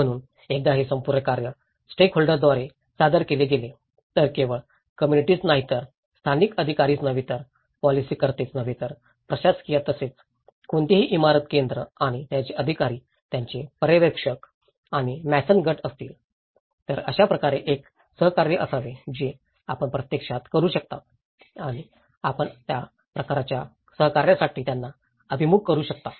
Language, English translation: Marathi, So, once this whole task has been presented with the stakeholder, not only the community but the local authorities but the policymakers but the administrators and as well as if there is any building centres and their authorities and their supervisors and the mason groups so, in that way, there should be a collaboration you can actually and you can have to orient them for that kind of collaboration